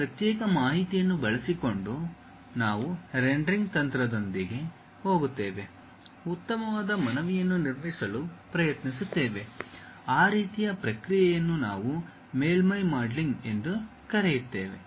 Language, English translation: Kannada, Using those discrete information, we go with rendering techniques, try to construct a nice appealed object; that kind of process what we call surface modelling